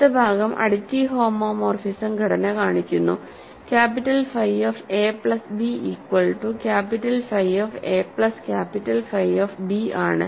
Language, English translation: Malayalam, The next part is to show the additive homomorphism structure, capital phi of a plus b is capital phi a plus capital phi b